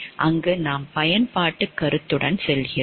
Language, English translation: Tamil, And there we go by the utilitarian concept